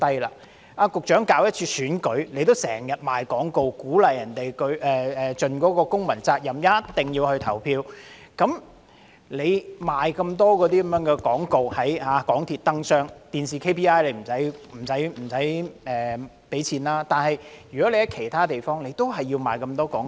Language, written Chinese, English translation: Cantonese, 局長，當局舉行一次選舉，也經常賣廣告，鼓勵市民盡公民責任，一定要投票，在港鐵燈箱賣很多廣告，雖然電視的 API 不用付錢，但在其他地方也要賣很多廣告。, Secretary each election is heavily advertised by the authorities to encourage the public to fulfil their civic duty by casting their vote . There is no need to pay for TV Announcements in the Public Interest but advertising is done in many other places such as light boxes in MTR stations